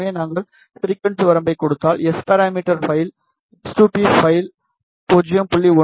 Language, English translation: Tamil, So, if we give the frequency range, the data that was given S parameter file s2p file was from 0